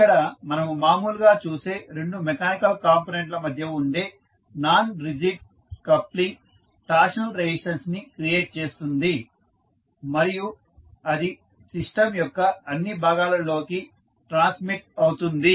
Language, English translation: Telugu, The non rigid coupling between two mechanical components which we see here often causes torsional resonance that can be transmitted to all parts of the system